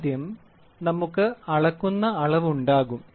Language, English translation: Malayalam, So, first we will have a measuring quantity